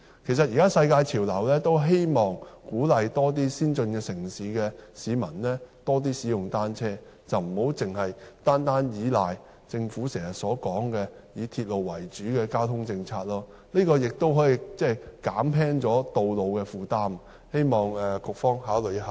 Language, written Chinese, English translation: Cantonese, 其實，現時世界潮流都希望鼓勵更多先進城市的居民多使用單車，而不要單單倚靠政府經常說"以鐵路為主"的交通政策，這亦可以減輕道路的負擔，希望局方考慮一下。, In fact it is now a world trend to encourage more residents in advanced cities to cycle . We should not rely solely on the transport policy so often described by the Government as using railway as the backbone . If more people cycle the traffic burden on roads can also be reduced